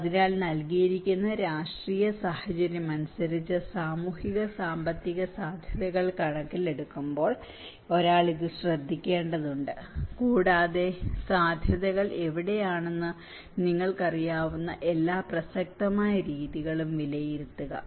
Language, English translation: Malayalam, So, as per the given political condition, given social economics feasibilities one has to take care of this and assess the all relevant methods you know where the possibilities